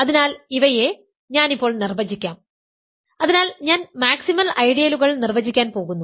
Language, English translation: Malayalam, So, let me define these now; so, I am going to define maximal ideals